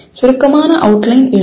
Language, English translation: Tamil, Write a brief outline …